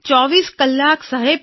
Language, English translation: Gujarati, 24 Hours Sir